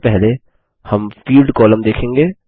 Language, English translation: Hindi, First, we will check the Field column